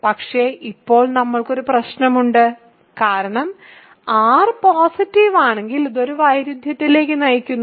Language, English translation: Malayalam, But, now we have a problem because, if r is positive this leads to a contradiction